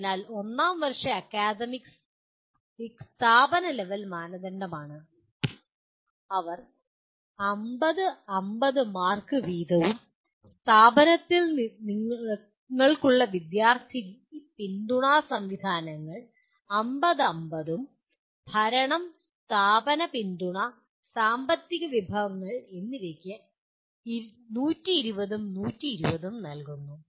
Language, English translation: Malayalam, So first year academics is the institution level criterion and they carry 50, 50 marks each and student support systems that you have in the institution carry 50, 50 and governance, institutional support and financial resources they are given 120, 120